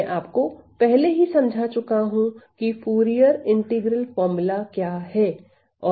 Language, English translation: Hindi, I have already shown you what is the Fourier integral formula